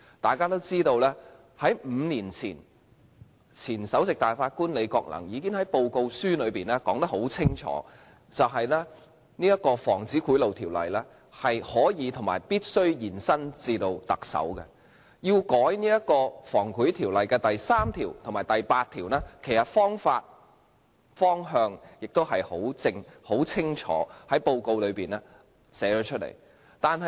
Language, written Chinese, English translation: Cantonese, 大家都知道 ，5 年前，前首席大法官李國能已經在報告書清楚說明，《防止賄賂條例》是可以及必須延伸至特首，修改《防止賄賂條例》第3條及第8條的方法和方向亦已清楚載於報告書內。, As Members all know five years ago the former Chief Justice Mr Andrew LI clearly stated in the report that the application of the Prevention of Bribery Ordinance could be and must be extended to the Chief Executive . The methods and direction for amending sections 3 and 8 of the Prevention of Bribery Ordinance are also clearly stated in the report